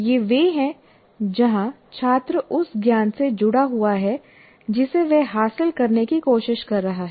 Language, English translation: Hindi, These are the ones where the student is engaged with the knowledge that he is trying to acquire